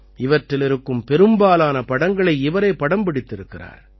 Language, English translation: Tamil, Most of these photographs have been taken by he himself